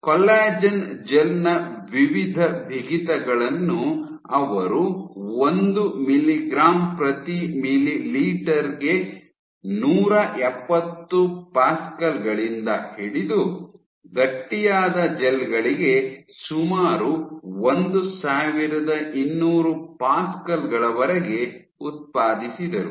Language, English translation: Kannada, So, she generated a range of different stiffness of the bulk stiffness of this collagen gel ranging from 170 pascals for this 1 mg per ml to nearly 1200 pascals for the stiff gels